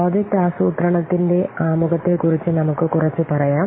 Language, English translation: Malayalam, Let's a little bit see about the introduction to project planning